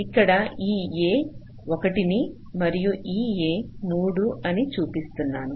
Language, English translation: Telugu, this a is one and this a is three